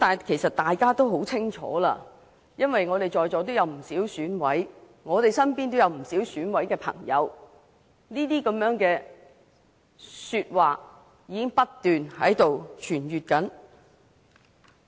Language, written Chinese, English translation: Cantonese, 其實，大家都很清楚，因為在座有不少議員是選舉委員會委員，我們身邊都有不少朋友是選委，指中央介入的說法已經不斷在流傳。, In fact Members are very clear about what happened because some Members present here are members of the Election Committee EC . We also have some friends who are EC members and they have indicated that the suggestion that the Central Authorities are interfering in the Election have been spreading